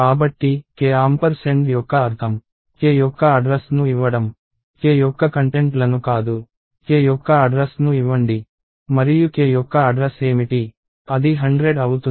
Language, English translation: Telugu, So, the meaning of ampersand(&) of k is give the address of k, not the contents of k, give the address of k and what is the address of k, it is 100